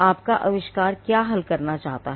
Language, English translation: Hindi, What does the your invention seek to address